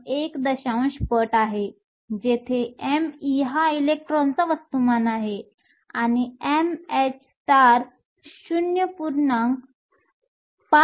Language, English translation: Marathi, 1 times m e, where m e is the mass of the electron; and m h star is 0